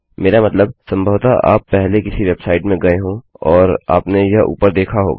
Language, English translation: Hindi, I mean you have probably been in a website before and you have seen this at the top